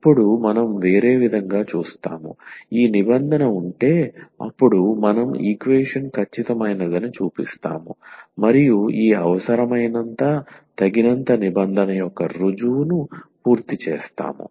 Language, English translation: Telugu, And now we will look the other way around, that if this condition holds then we will show that the equation is exact and that we will complete the proof of this necessary and sufficient condition